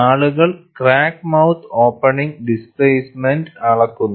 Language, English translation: Malayalam, People measure the crack mouth opening displacement